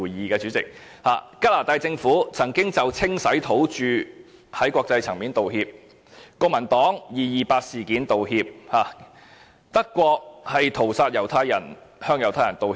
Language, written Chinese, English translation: Cantonese, 加拿大政府曾經就文化清洗土著在國際層面道歉，國民黨曾就二二八事件道歉，德國就屠殺向猶太人道歉。, The Canadian Government apologized internationally for the cultural genocide of indigenous people . Kuomintang apologized for the 228 Incident . Germany apologized to the Jews for the massacre